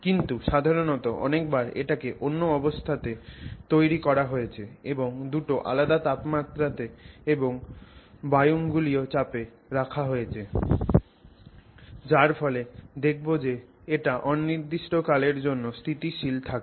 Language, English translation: Bengali, But generally many times you have created it under some circumstances and brought it kind of two room temperature and then atmospheric pressure and then it sort of stays for our purposes it appears stable indefinitely